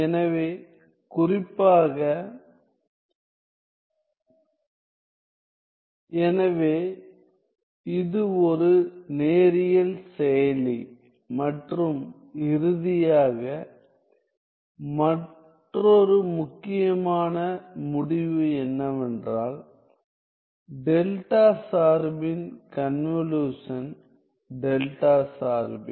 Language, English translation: Tamil, So, it is a linear operator and finally, another important result is that the convolution of the delta function is the delta function